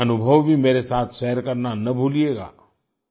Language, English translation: Hindi, Don't forget to share your experiences with me too